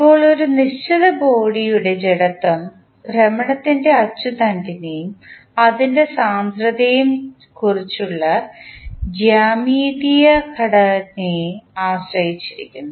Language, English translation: Malayalam, Now, the inertia of a given body depends on the geometric composition about the axis of rotation and its density